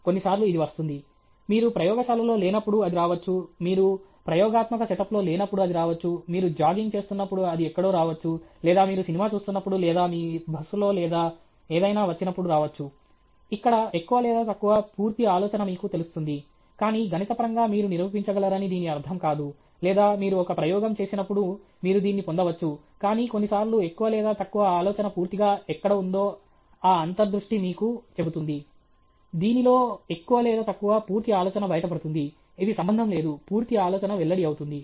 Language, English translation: Telugu, Sometime it comes, it can come when you are not in the lab; it can come when you are not in the experimental setup; it can come in somewhere when you are jogging or it can come when you are watching a movie or even in your bus or something, where more or less the complete idea is revealed to you, but it doesn’t mean that mathematically you can prove it or when you do an experiment you can get this, but sometimes that intuition tells you where more or less the idea is completely… in which more or less the complete idea is revealed – it’s not related the complete idea is revealed okay